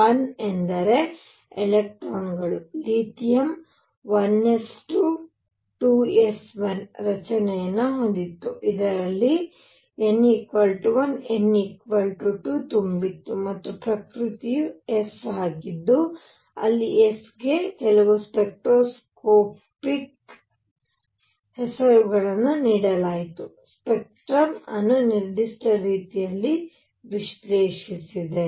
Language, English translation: Kannada, 1 is 2 electrons, lithium had 1 s 2, 2 s 1 structure; that means, there was n equals 1 n equals 2 were filled and the nature was s where s was given a name to certain spectroscopic, way the certain way the spectrum was analyzed